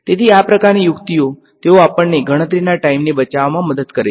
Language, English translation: Gujarati, So, these kinds of tricks, they help us to save a lot of computational time right